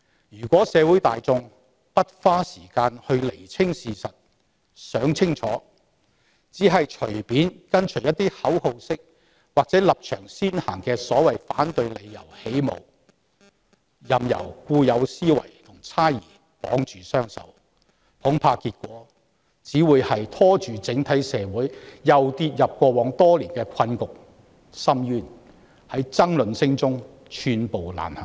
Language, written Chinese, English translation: Cantonese, 要是社會大眾不花時間釐清事實，而只是隨便跟隨一些口號式或立場先行的所謂反對理由起舞，任由固有思維與猜疑綁住雙手，恐怕結果只會是整體社會繼續陷入過往多年的困局和深淵，在爭論聲中寸步難行。, Should society and the public not spend the time on sorting out the truth but only randomly follow the tones of some slogan - like or stances - come - first reasons for opposition and willingly let their hands be tied by the old mindset and distrust I am afraid the outcome will only be the entire society continuing to be ensnared in the quagmire and abyss which have persisted for years failing to make even a small step forward amid much bickering